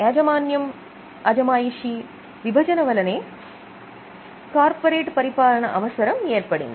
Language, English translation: Telugu, Now, separation of ownership and control is the main reason for need of governance